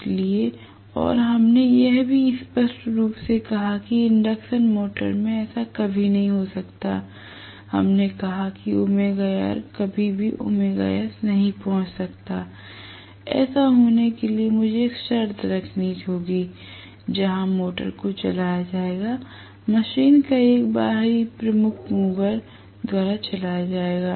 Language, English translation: Hindi, So and we also said very clearly that this can never happen in an induction motor, we said that omega R can never even reach, omega S leave alone going beyond omega S, for this to happen I will have to have a condition where the motor will be driven, the machine will be driven by an external prime mover